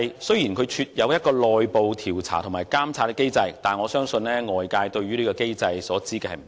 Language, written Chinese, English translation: Cantonese, 雖然廉署設有內部調查和監察機制，但我相信外界對這項機制所知不多。, ICAC has established an internal investigation and monitoring mechanism but I believe outsiders do not know much about this